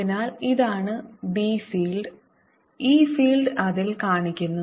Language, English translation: Malayalam, so this is the b field and e field is shown on that